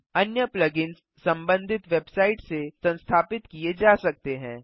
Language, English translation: Hindi, Other plug ins can be installed from the respective website